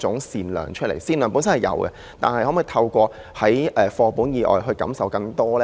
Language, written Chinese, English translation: Cantonese, 善良他們本身已有，但可否透過課本以外感受更多呢？, The benign nature is already with them; yet is it possible to let them feel more about kindness through a means beyond textbooks?